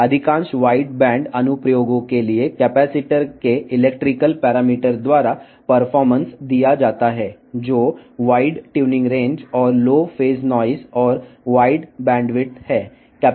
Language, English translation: Telugu, For most of the wide band applications performance is given by the electrical parameters of capacitors, which is white tuning range and phase noise and wide bandwidth